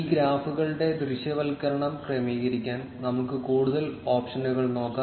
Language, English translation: Malayalam, Let us explore more options to adjust the visualization of these graphs